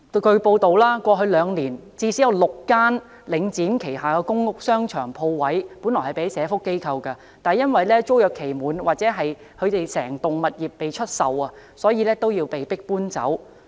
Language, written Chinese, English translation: Cantonese, 據報道，過去兩年最少有6間租用領展旗下的公屋商場鋪位的社福機構，因租約期滿或整幢物業出售而被迫搬走。, It is reported that in the past two years at least six social welfare organizations were evicted from the premises in the shopping centres in public housing estates operated by Link REIT after their tenancy expired or the entire properties were sold